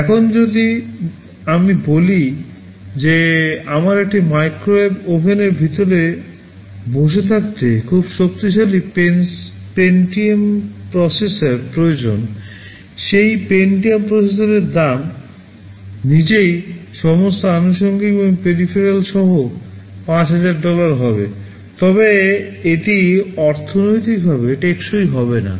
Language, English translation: Bengali, Now if I say that I need a very powerful Pentium processor to be sitting inside a microwave oven, the price of that Pentium processor itself will be 5000 rupees including all accessories and peripherals, then this will be economically not viable